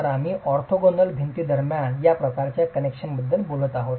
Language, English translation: Marathi, So, we are talking of this sort of a connection between the orthogonal walls